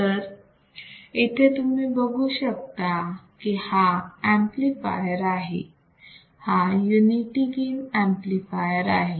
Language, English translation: Marathi, So, you see this is an amplifier this is amplifier, it is nothing, but unity gain amplifier